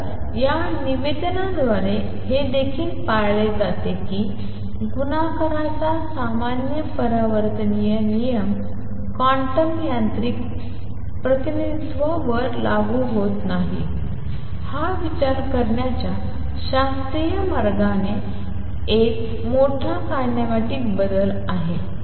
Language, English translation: Marathi, So, by this representation it also follows that the normal commutative rule of multiplication does not apply to quantum mechanical representation this is a big kinematic change from the classical way of thinking that